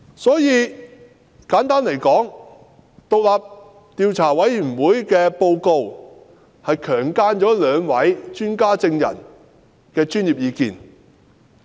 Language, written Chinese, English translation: Cantonese, 所以，簡單而言，委員會的報告是"強姦"了兩位專家證人的專業意見。, Therefore simply put the report of the Commission has raped the professional opinions of the two expert witnesses